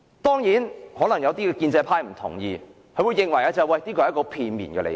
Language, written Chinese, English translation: Cantonese, 當然，可能有建制派議員不同意，認為這是片面的理解。, Certainly perhaps some pro - establishment Members will disagree with me and argue that all this is based on my one - sided understanding